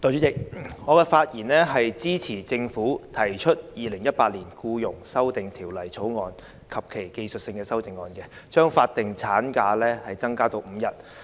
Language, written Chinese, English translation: Cantonese, 代理主席，我發言支持政府提出的《2018年僱傭條例草案》及其技術性修正案，把法定侍產假增至5天。, Deputy President I speak in support of the Employment Amendment Bill 2018 the Bill introduced by the Government to increase statutory paternity leave to five days as well as the technical amendments thereto